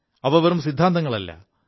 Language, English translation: Malayalam, They were not just mere theories